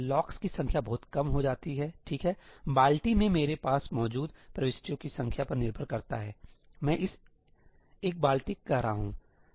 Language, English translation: Hindi, The number of locks is reduced drastically, right, depends on the number of entries I have in the bucket; I am calling this a bucket